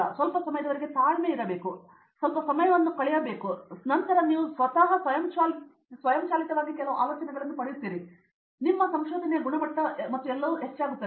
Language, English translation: Kannada, You just have to hang on for some time have some patience and determination and then, just you will spend some time and then you will automatically get some ideas by yourself and then the quality also of your research and all will be increasing gratuity